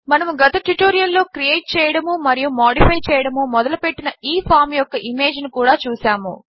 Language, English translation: Telugu, We also saw this image of the form that we started creating and modifying in the last tutorial